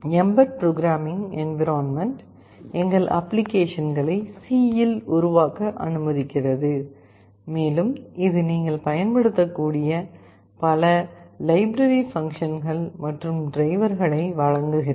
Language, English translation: Tamil, The mbed programming environment allows us to develop our applications in C, and it provides with a host of library functions and drivers, which you can use